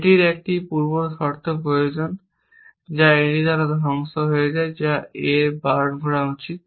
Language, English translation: Bengali, It needs A pre condition which is destroyed by this which is should be holding A